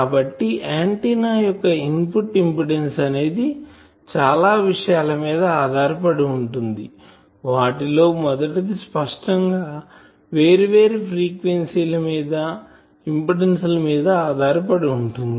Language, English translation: Telugu, So, I can say that the input impedance of an antenna depends on several things on what first; obviously, it is dependent on frequency of operation at different frequencies obviously, impedances etc